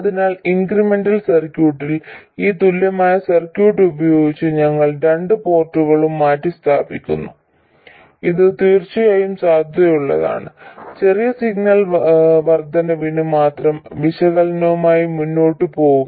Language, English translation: Malayalam, So, in the incremental circuit we substitute the two port by this equivalent circuit which is valid of course only for small signal increments and go ahead with the analysis